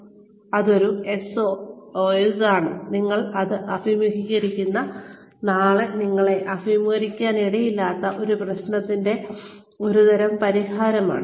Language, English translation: Malayalam, That is a SOS, a sort of solution to a problem, that you may be facing today, that you may not face tomorrow